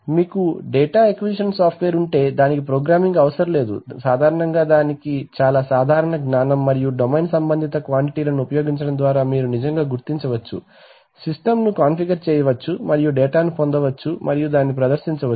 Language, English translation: Telugu, While if you have the data acquisition software then it does not require programming, generally it requires you know graphical programming in the sense that using very common sense and domain related quantities you can actually figure, configure the system and get data and then displayed it